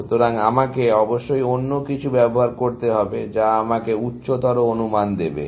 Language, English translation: Bengali, So, I must use something else, which will give me a higher estimate